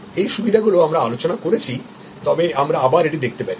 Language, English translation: Bengali, The advantages we have discussed, but we can again look at it